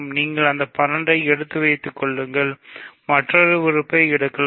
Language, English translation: Tamil, So, you take that 12 and you can take another element